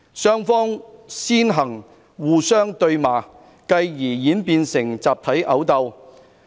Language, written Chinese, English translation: Cantonese, 雙方先互相對罵，繼而演變成集體毆鬥。, The two groups initially quarrelled and eventually turned into brawls